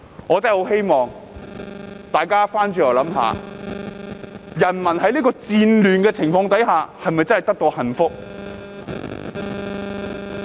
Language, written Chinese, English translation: Cantonese, 我真的很希望大家反思一下，人民在戰亂的情況下是否真的得到幸福？, I really hope Members can reflect on whether people can be happy under chaotic circumstances